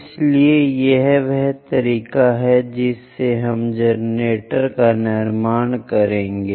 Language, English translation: Hindi, So, this is the way we will construct one of the generator